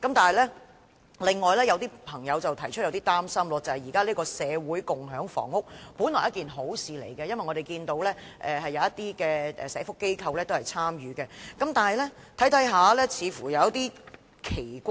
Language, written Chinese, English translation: Cantonese, 但是，另有一點是有些朋友有點擔心的，便是社會共享房屋本來是好事，因為我們看見有些社福機構也有參與，然而，在細看後，卻感到有些奇怪。, However there is another issue which has caused some people to feel worried that is community housing is originally something good because we see that some social welfare organizations have also participated in it but at a closer look we find it somewhat strange